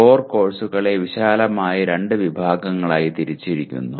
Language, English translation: Malayalam, Core courses are classified into broadly two categories